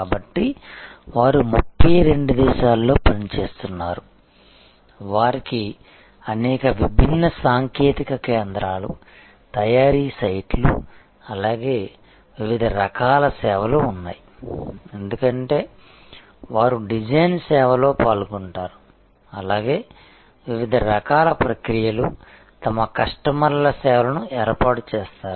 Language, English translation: Telugu, So, they operate in 32 countries, they have number of different technical centers, manufacturing sites as well as different kinds of services, because they participate in the design service as well as different kinds of process set up services of their customers